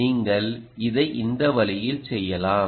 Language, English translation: Tamil, you can do it this way